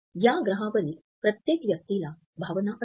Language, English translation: Marathi, Every person on the planet feels emotions